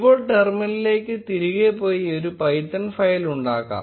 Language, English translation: Malayalam, Let us go back to the terminal and create a python file